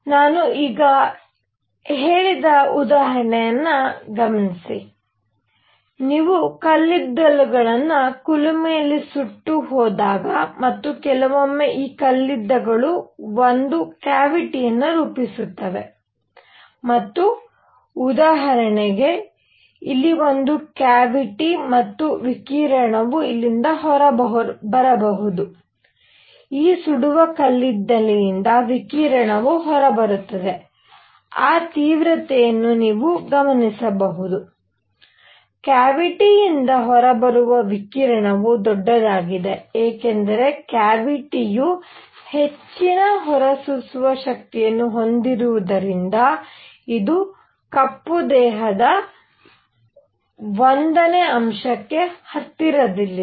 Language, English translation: Kannada, Whatever I said just now example is; when you have these coals which are burnt in a furnace and sometime these coals form a cavity and for example, here could be a cavity and radiation coming out of here, radiation also coming out of these burning coals, what you will notice that intensity of radiation coming out of the cavity is largest; why, because cavity has higher emissive power, it is closer to black body number 1